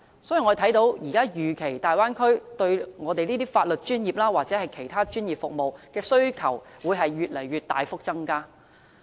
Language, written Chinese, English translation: Cantonese, 所以，我們預期大灣區對法律專業或其他專業服務的需求會持續大幅增加。, Hence we expect the demand for professional legal services or other professional services in the Bay Area will continue to increase